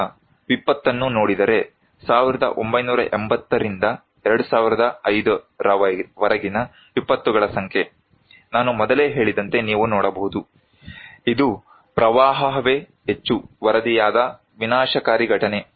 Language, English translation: Kannada, Now, looking into the disaster; number of disasters from 1980’s to 2005, you can look as I told also before, it is the flood that is the most reported disastrous event